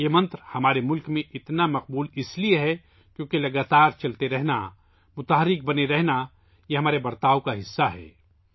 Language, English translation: Urdu, This mantra is so popular in our country because it is part of our nature to keep moving, to be dynamic; to keep moving